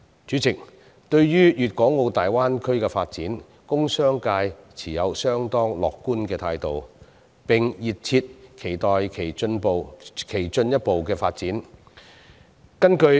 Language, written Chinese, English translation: Cantonese, 主席，對於大灣區的發展，工商界持有相當樂觀的態度，並熱切期待其進一步發展。, President members of the industrial and business sectors are very optimistic about the development of the Bay Area . They are looking forward eagerly to its further development